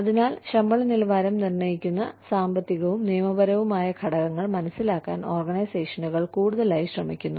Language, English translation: Malayalam, So, one is, organizations are increasingly trying to understand, economic and legal factors, that determine pay levels